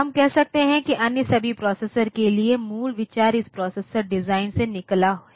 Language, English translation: Hindi, So, we can say that for all other processors the basic idea came out from this processor design